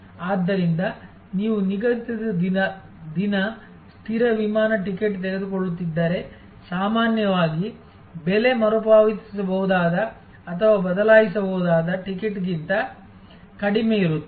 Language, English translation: Kannada, So, if you are taking a fixed day, fixed flight ticket, usually the price will be lower than a ticket which is refundable or changeable